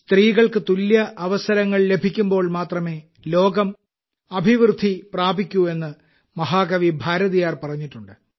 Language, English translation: Malayalam, Mahakavi Bharatiyar ji has said that the world will prosper only when women get equal opportunities